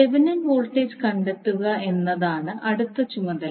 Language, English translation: Malayalam, Next task is, to find out the Thevenin voltage